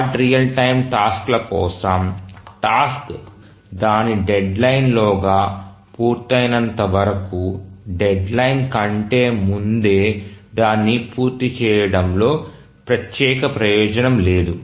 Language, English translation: Telugu, For hard real time tasks, as long as the task completes within its deadline, there is no special advantage in completing it any earlier than the deadline